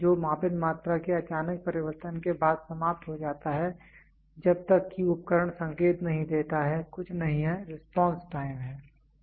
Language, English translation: Hindi, The time which elapses after sudden change of the measured quantity until the instruments gives an indication is nothing, but response time